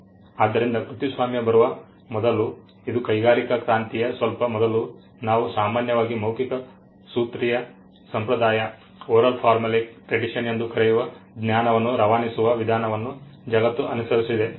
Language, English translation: Kannada, So, before copyright came, I mean this is just before the industrial revolution, the world followed a means of transmitting knowledge what we commonly called the oral formulaic tradition